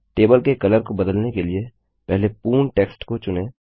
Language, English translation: Hindi, To change the color of the table, first select all the text